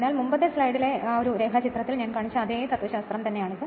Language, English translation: Malayalam, So, this is your just you just same philosophy that is why previous slide I showed the diagram